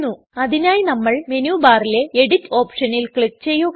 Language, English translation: Malayalam, So we click on the Edit option in the menu bar and then click on the Sheet option